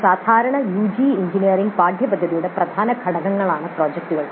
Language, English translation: Malayalam, Projects are key components of a typical UG engineering curriculum